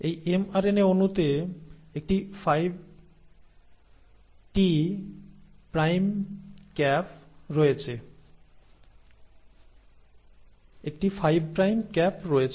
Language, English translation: Bengali, So this mRNA molecule has a 5 prime cap